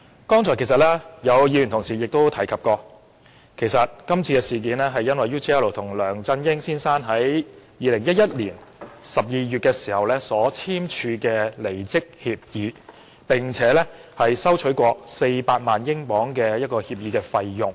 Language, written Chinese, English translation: Cantonese, 剛才有議員同事提及，今次事件是因為梁振英先生與 UGL 在2011年12月簽訂離職協議，收取了400萬英鎊的協議費用。, Just now some Members mentioned that the cause of the incident is the signing of a resignation agreement between Mr LEUNG Chun - ying and UGL in December 2011 whereby the former received a payment of £4 million